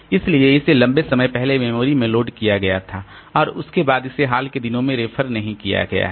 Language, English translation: Hindi, So, it was loaded into the memory long back and after that it has not been referred to in the recent past